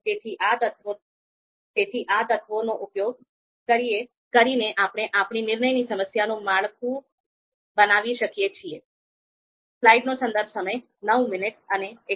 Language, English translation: Gujarati, So using you know these elements, we can structure our decision problem